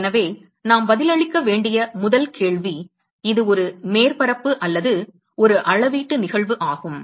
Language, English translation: Tamil, So, first question we need to answer is it a surface area or a volumetric phenomena